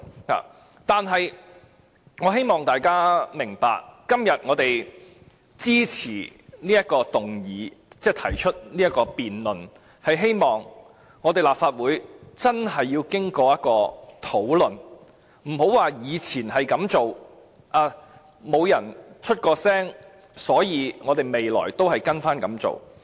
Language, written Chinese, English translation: Cantonese, 可是，我希望大家明白，我們今天支持這項議案，提出辯論，便是希望立法會要真正經過討論，而不要單單說以往也是這樣做，既然沒有人提出意見，所以未來便要照着做。, However I hope Members will understand that we support the motion to initiate a debate on it purely because we want real discussions on the issue at this Council instead of following the old practice in the past when no one raised any objection